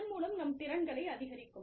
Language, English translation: Tamil, So, increasing our competencies